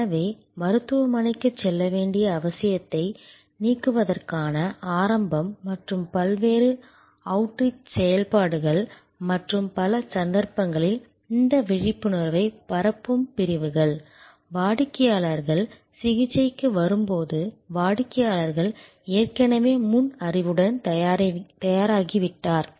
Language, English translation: Tamil, So, the start to eliminate the need to visit the hospital and when through the various outreach activities they have and this awareness spreading sections in many cases, when the customer arrives for the treatment, the customer as already come prepared with fore knowledge